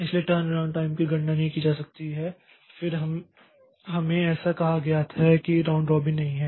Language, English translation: Hindi, So, the turn around time could not be calculated and then we have got say so it is not round robin so we cannot have this other other parameters